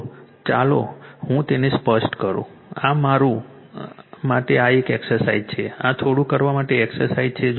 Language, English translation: Gujarati, So, let me clear it, this is anthis is an exercise for you this is an exercise for you to do this little bit right